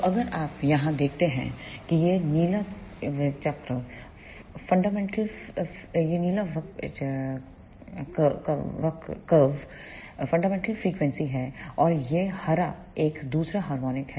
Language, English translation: Hindi, So, if you see here this blue curve is the fundamental frequency, and this green one is second harmonic